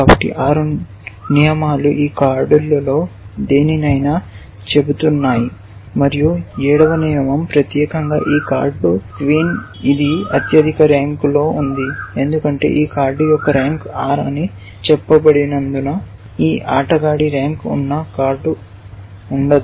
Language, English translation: Telugu, So, 6 rules are saying any of these cards and the seventh rule is specifically saying this card queen, which is of highest rank why because we have said that the rank of this card is r then there is no card held by this player whose rank is higher or higher than r which means the the number is lower than r